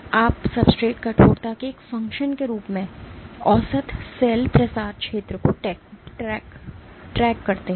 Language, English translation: Hindi, So, and you track the average cell spreading area as a function of substrate stiffness